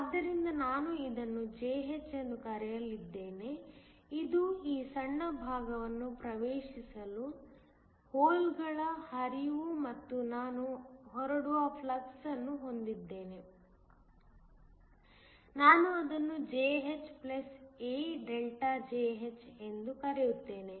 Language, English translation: Kannada, So, I am going to call it Jh, which is the flux of holes that is entering this small portion and I have a flux that is leaving, I am going to call it Jh + A ΔJh